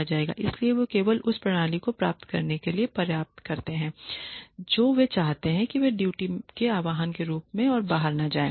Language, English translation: Hindi, So, they only do enough to get what they want out of the system they do not go above and beyond the call of duty